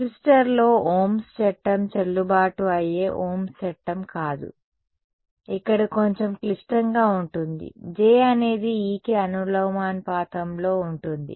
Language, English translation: Telugu, We can use no, that Ohms law is not ohms law sort of valid in the resistor, here there is a little bit more complicated right J is not going to be proportional to E